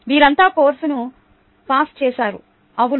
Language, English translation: Telugu, they all pass the course right